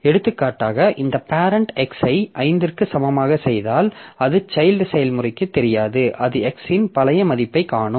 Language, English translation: Tamil, So, so for example if this parent does after forking it does x equal to 5 so that is not visible to the child process it will see the old value of x